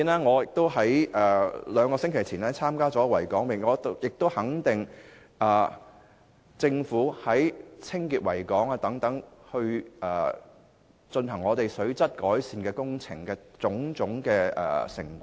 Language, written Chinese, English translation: Cantonese, 我在兩星期前參與維港泳，亦會肯定政府在清潔維港及進行水質改善工程上的工作成果。, Two weeks ago I took part in the Harbour Race . I recognize the Governments achievements in cleaning up the harbour and improving water quality